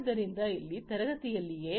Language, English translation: Kannada, So, over here in the classroom itself